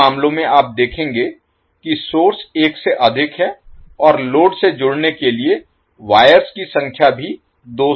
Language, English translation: Hindi, So, in these cases you will see that the courses are more than 1 and number of wires are also more than 2 to connect to the load